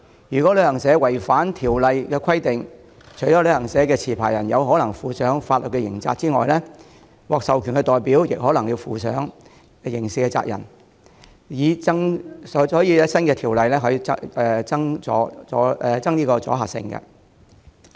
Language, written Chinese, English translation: Cantonese, 如旅行社違反新條例的規定，除旅行社持牌人有可能負上法律責任外，獲授權代表亦可能負上刑事責任，故新條例有助增強阻嚇性。, If a travel agent contravenes the requirements of the new Ordinance not only may the licensee be held legally liable its AR may also be held criminally liable . Hence the new Ordinance will be conducive to enhancing the deterrent effect